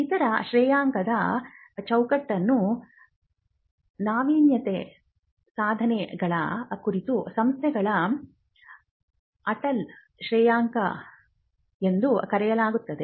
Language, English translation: Kannada, Now, the other ranking framework is called the Atal Ranking of Institutions on Innovation Achievements